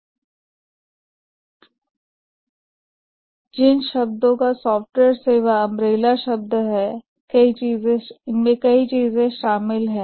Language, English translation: Hindi, But the term software service is an umbrella term